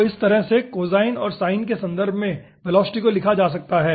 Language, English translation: Hindi, so velocity can be written in this fashion, in terms of cosine and sin